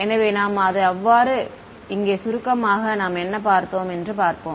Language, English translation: Tamil, So that is so, summarize over here let us what we did we looked at the